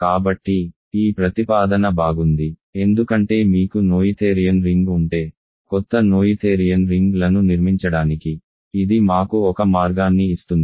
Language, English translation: Telugu, So, this proposition is nice because it gives us a way to construct new noetherian rings if you have a noetherian ring